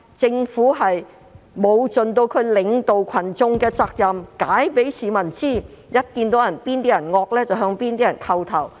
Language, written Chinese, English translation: Cantonese, 政府沒有盡責領導群眾，並向市民解釋，反而向較為兇惡的人叩頭。, The Government has not fulfilled its responsibility to lead the public and make explanations to them; instead it kowtows to those more ferocious people